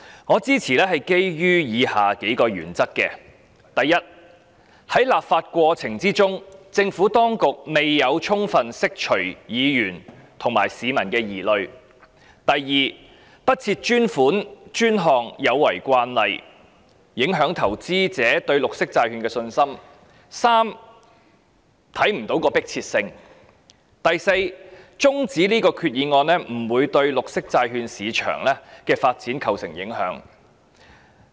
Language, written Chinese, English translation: Cantonese, 我基於以下數個原因支持這項議案：第一，在立法過程中，政府當局未有充分釋除議員和市民的疑慮；第二，不設專款專項有違慣例，影響投資者對綠色債券的信心；第三，決議案沒有迫切性；以及第四，將這項決議案的辯論中止待續不會對綠色債券市場的發展造成影響。, I support the motion based on a number of reasons as follows first during the legislative process the Administration has failed to fully dispel the misgivings held by Members and the public; second it is against the established practice not to allocate dedicated funding for dedicated purposes and will affect investor confidence in green bonds; third the Resolution has no urgency; and fourth adjourning the debate on the Resolution will not affect the development of the green bond market